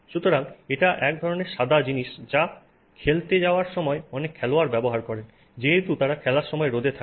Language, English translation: Bengali, So, this is the kind of the white thing that you know you see many sports persons where as they are out there in the sun as they go about playing